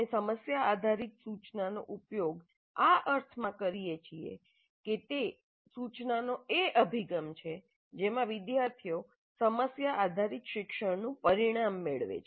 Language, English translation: Gujarati, We use problem based instruction in the sense that it is the approach to instruction that results in problem based learning by the students